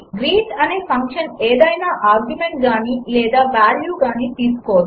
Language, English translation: Telugu, The function greet neither takes any argument nor returns any value